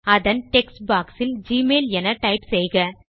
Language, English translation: Tamil, In the text box of the Find bar, type gmail